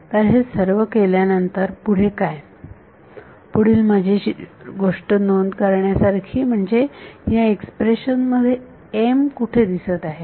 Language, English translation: Marathi, So, what after doing all of this what is interesting to note is where is m appearing in this expression